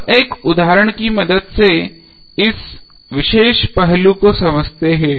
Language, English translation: Hindi, Now let us understand this particular aspect with the help of one example